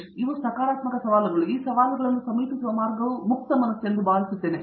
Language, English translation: Kannada, These are very positive challenges and I think the way to approach these challenges is to be open minded